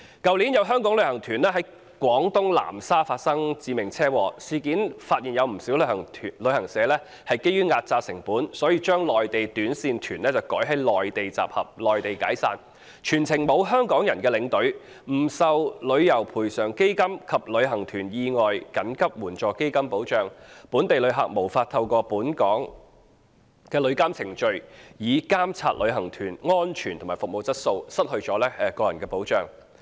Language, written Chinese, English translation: Cantonese, 去年，有香港旅行團在廣東南沙發生致命車禍，事件揭發有不少旅行社基於壓榨成本，將內地短線團改在內地集合、內地解散，全程沒有香港人的領隊，不受旅遊業賠償基金及旅行團意外緊急援助基金計劃保障，本地旅客無法透過本港旅遊監管程序，監察旅行團安全及服務質素，失去個人保障。, Last year a Hong Kong tour group encountered a fatal traffic accident in Nansha Guangdong . This incident has revealed that quite a number of travel agencies have for the sake of cutting cost arranged short - haul Mainland tour groups to meet and dismiss in the Mainland . The tour will not be accompanied by a Hong Kong tour escort and will not be protected by the Travel Industry Compensation Fund and the Package Tour Accident Contingency Fund Scheme